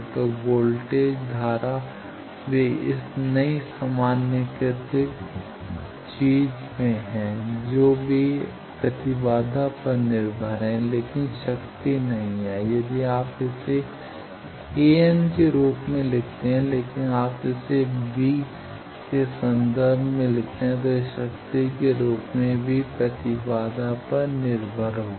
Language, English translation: Hindi, So, voltage current they are in this new generalized thing they are impedance dependent, but power is not if you write it terms of a n, but if you write it in terms of V it will be power will be dependent on impedance as well